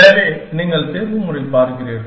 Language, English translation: Tamil, So, you were looking at optimization